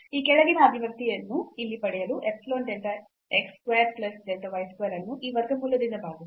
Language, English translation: Kannada, To get this following expression here, so epsilon delta x square plus delta y square divided by this square root here